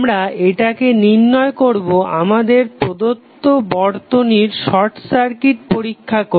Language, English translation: Bengali, We will find out while carrying out the short circuit test on the network which is given to us